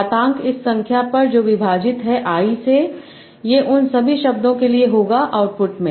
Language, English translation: Hindi, Exponent over this number divide by I will do it for all the words in output